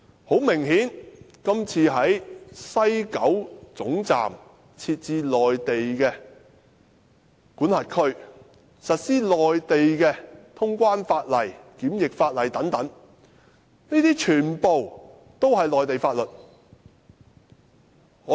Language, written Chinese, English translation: Cantonese, 很明顯，今次在西九站設置內地管轄區，實施內地清關、檢疫法例等，全部也是內地法律。, Obviously the Mainland control area to be set up in West Kowloon Station for the Mainland side to conduct customs and quarantine procedures will use only Mainland laws